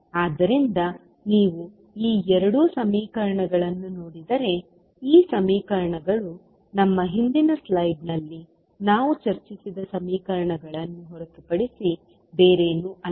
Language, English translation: Kannada, So, if you see these two equations these equations are nothing but the equations which we discussed in our previous slide